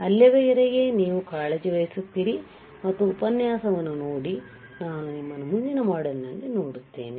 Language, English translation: Kannada, Till then you take care and just look at the lecture I will see you in the next module bye